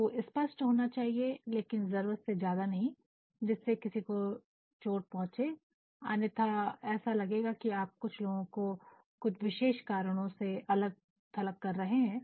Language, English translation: Hindi, You need to be specific, but you do not need to be so specific that it can hurt, otherwise what will is you are actually segregating people on the basis of certain criteria